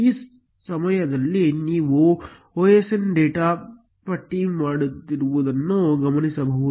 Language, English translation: Kannada, This time you will note osndata listed